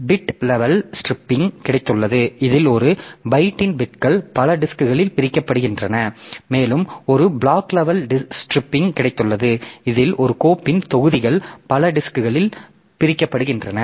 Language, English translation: Tamil, So, we have got bit level striping in which the bits of a byte are split across multiple disk and we have got block level striping in other blocks of a file are split across multiple disks